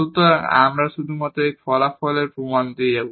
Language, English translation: Bengali, So, we will just go through the proof of this result